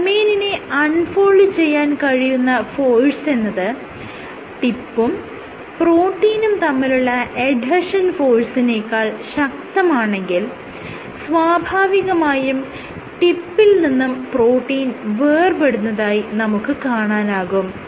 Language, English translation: Malayalam, If the force required to unfold a domain is much greater than the force of addition between the tip and the protein, then the protein, then the tip reach is detached from the protein